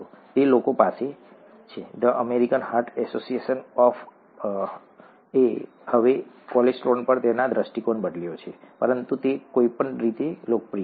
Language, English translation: Gujarati, People have, The American Heart Association has changed its view on cholesterol now, but it is popular anyway